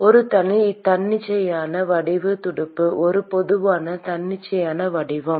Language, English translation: Tamil, an arbitrary shaped fin a general arbitrary shape